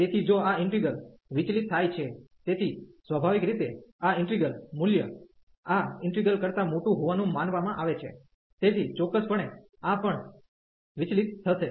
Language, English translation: Gujarati, So, if this integral diverges, so naturally this integral the value is suppose to be bigger than this integral, so definitely this will also diverge